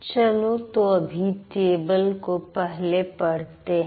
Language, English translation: Hindi, So, let's read the table first